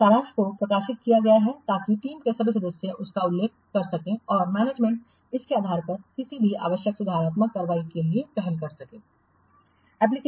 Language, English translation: Hindi, The summary is published so that all the team members can refer to it and also the management can take initiatives for any what necessary correct actions based on this